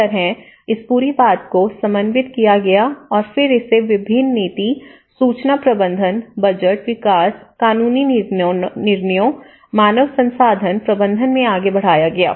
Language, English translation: Hindi, So, this is how this whole thing was coordinated and then it is further branched out in various policy, information management, budget, development, legal decisions, HR management